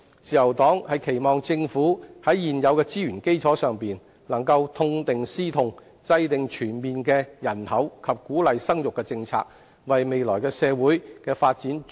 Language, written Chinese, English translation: Cantonese, 自由黨期望政府在現有的資源基礎上，能夠痛定思痛，制訂全面的人口及鼓勵生育政策，為未來社會的發展注入新動力。, The Liberal Party expects the Government to learn the painful lesson formulating a comprehensive population policy to boost the fertility rate on the basis of the existing resources thereby injecting new impetus for the future development of our society